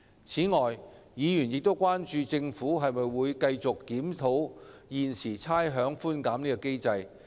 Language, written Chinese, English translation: Cantonese, 此外，議員關注到，政府會否繼續檢討現時的差餉寬減機制。, Besides Members are concerned about whether the Government will continue to review the existing rates concession mechanism